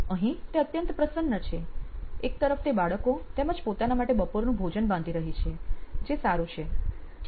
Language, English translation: Gujarati, On the left hand side is packing lunch for her kids and for herself which is good, okay